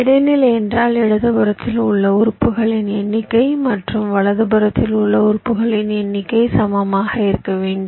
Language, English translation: Tamil, median means the number of elements to the left and the number of elements to the right must be equal